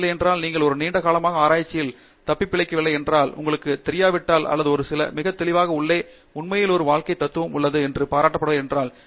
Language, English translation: Tamil, Otherwise, you do not survive for a long time in research, if you donÕt know or donÕt appreciate the why inside a few very clearly and that is actually a life philosophy